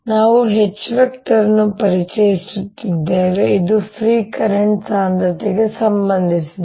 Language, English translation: Kannada, we are introducing a vector h which is related to free current density